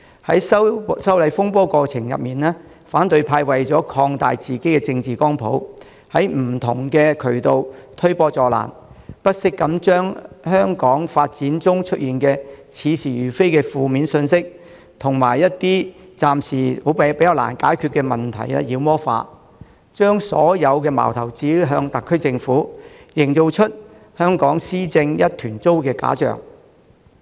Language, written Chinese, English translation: Cantonese, 在修例風波的過程中，反對派為了擴大自己的政治光譜，在不同渠道推波助瀾，不惜將關於香港現況的似是而非的負面信息，以及暫時難以解決的問題妖魔化，將所有矛頭指向特區政府，營造出香港施政一團糟的假象。, During thelegislative amendment row the opposition camp has sought to expand its political spectrum by adding fuel to the fire through different channels . It has not scrupled to spread specious and negative messages about Hong Kongs current situation and demonize issues which are difficult to resolve at the moment so as to direct all criticisms at the SAR Government and create a false impression that the administration of Hong Kong is in a mess